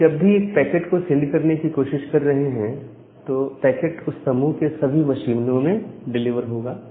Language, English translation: Hindi, And whenever you are trying to send a packet, the packet will be delivered to all the machines in that group